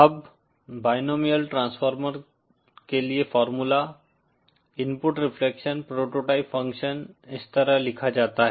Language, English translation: Hindi, Now the formula for the binomial transformer, the input reflection prototype function is written like this